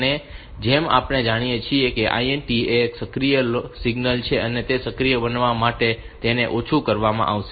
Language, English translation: Gujarati, As we know that INTA is an active low signal, this will be made low to make it active